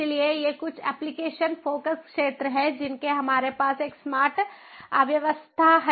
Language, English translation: Hindi, so these are some of the application focus areas of smart city